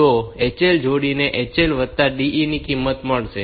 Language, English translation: Gujarati, The HL pair will get the value of HL plus DE